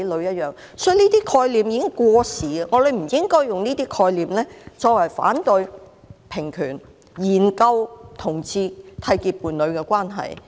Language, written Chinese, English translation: Cantonese, 所以，這些概念已經過時，我們不應用這些概念來反對平權，研究同志締結伴侶的關係。, So these concepts are already outdated . We should not use these concepts to oppose equal rights for people of different sexual orientations or refuse to study homosexual couples seeking to enter into a union